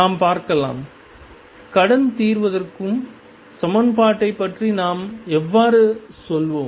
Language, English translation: Tamil, Let us see; how do we go about solvency equation